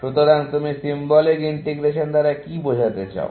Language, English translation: Bengali, So, what do you mean by symbolic integration